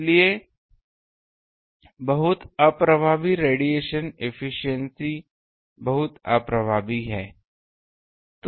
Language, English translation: Hindi, So, very inefficient radiation efficiency is very inefficient